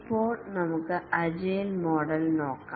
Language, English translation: Malayalam, Now let's look at the agile models